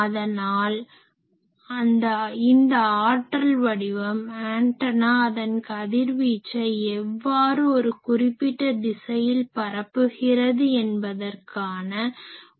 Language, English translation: Tamil, So, this power pattern is a simple visualization of how effectively antenna puts it is radiation in a particular direction